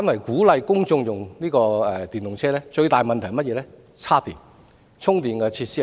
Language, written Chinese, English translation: Cantonese, 鼓勵公眾使用電動私家車的最大問題，反而在於充電設施的規劃。, Conversely the biggest problem with encouraging the public to use e - PCs lies in the planning of charging facilities